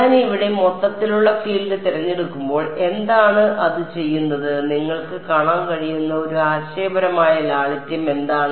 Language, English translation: Malayalam, What is the when I choose to total field over here what is the sort of one conceptual simplicity you can see of doing that